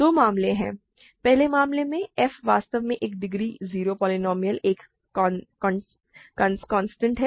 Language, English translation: Hindi, There are two cases; in the first case f is actually a degree 0 polynomial, a constant